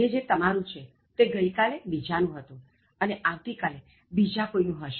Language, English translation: Gujarati, What is yours today, belong to someone else yesterday and will belong to someone else tomorrow